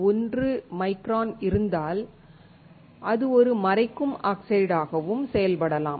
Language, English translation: Tamil, 1 micron, it can also work as a masking oxide